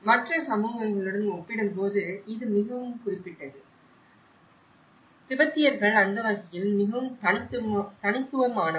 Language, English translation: Tamil, And that is very specific compared to any other communities; the Tibetans are very unique on that manner